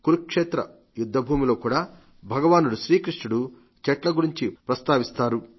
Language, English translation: Telugu, In the battlefield of Kurukshetra too, Bhagwan Shri Krishna talks of trees